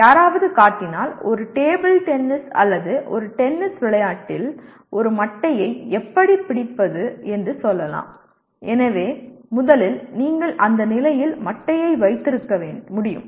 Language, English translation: Tamil, If somebody shows let us say how to hold a bat in a table tennis or a tennis game so first you should be able to hold the bat in that position